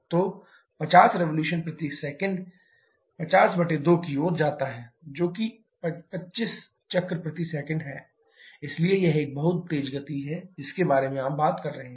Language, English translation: Hindi, So, 50 revolutions per second leads to 50/2 that is 25 cycles per second, so that is a very high speed that you are talking about